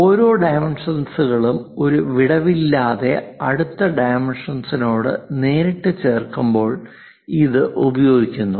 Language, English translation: Malayalam, It is used when each single dimension is placed directly adjacent to the next dimension without any gap